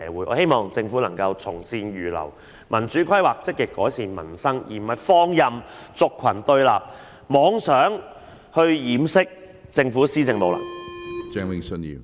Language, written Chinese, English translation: Cantonese, 我希望政府能夠從善如流，進行民主規劃，積極改善民生，而不是放任族群對立，妄想以此掩飾政府施政上的無能。, I hope the Government can heed our well - intentioned advice implement democratic planning and proactively improve peoples livelihood instead of trying to cover up its incompetence in governance by letting different social groups confronting and opposing each other